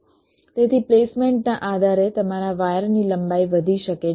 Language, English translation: Gujarati, so depending on the placement, your wire length might increase